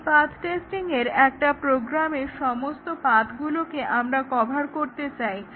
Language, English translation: Bengali, In path testing, we want all the paths in a program to be covered